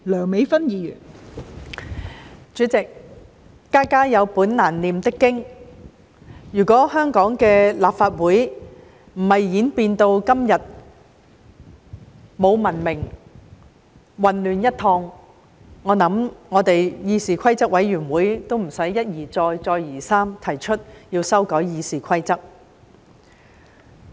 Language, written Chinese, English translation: Cantonese, 代理主席，家家有本難唸的經，如果香港的立法會不是演變至今天沒有文明、混亂一片，我想我們的議事規則委員會亦無須一而再，再而三地提出修改《議事規則》。, Deputy President every family has its own problems . Had the Hong Kong Legislative Council not fallen into the present uncivilized and chaotic state I think our Committee on Rules of Procedure would not have proposed amendments to the Rules of Procedure RoP time and again